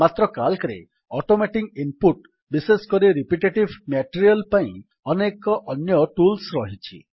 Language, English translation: Odia, But Calc also includes several other tools for automating input, especially of repetitive material